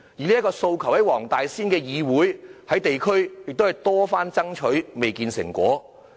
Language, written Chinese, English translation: Cantonese, 這個訴求，黃大仙區議會及地區組織曾多番爭取，仍未見成果。, The Wong Tai Sin District Council and local groups have been putting forward such a demand many times but still to no avail